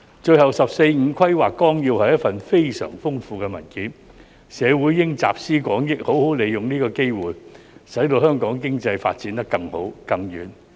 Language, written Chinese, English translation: Cantonese, 最後，《十四五規劃綱要》是一份非常豐富的文件，社會應集思廣益，好好利用這個機會，使香港經濟發展得更好、更遠。, Lastly the Outline of the 14th Five - Year Plan is a very rich document . The community should draw on collective wisdom and make good use of this opportunity so that the Hong Kong economy can develop better and further